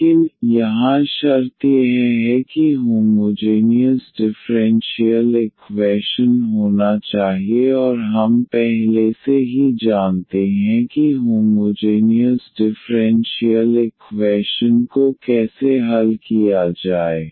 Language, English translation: Hindi, But, here the condition is this should be homogeneous differential equation and we already know how to solve the homogeneous differential equation